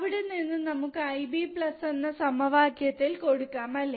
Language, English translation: Malayalam, From there, we can put this equation I B plus, right